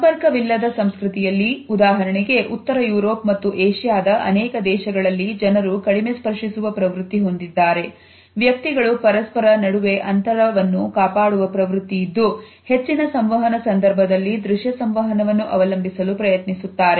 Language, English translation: Kannada, In comparison to that in the non contact culture for example, people in the Northern Europe as well as in many Asian countries there is a tendency to touch less often, there is a tendency to stand further apart and in most of our communication we try to rely on visual communication